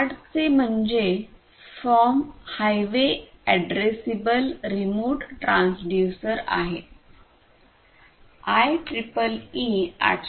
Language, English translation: Marathi, The full form of HART is Highway Addressable Remote Transducer and it is based on 802